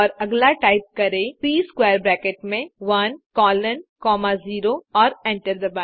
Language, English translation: Hindi, So type C within square bracket 1 comma 1 colon 3 and hit enter